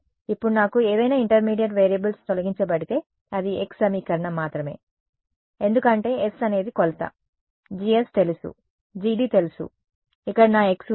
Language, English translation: Telugu, Now, I have eliminated any intermediate variables it's only an equation in x right, because s is measurement, G S is known, G D is known, I have my x over here, I have my x over here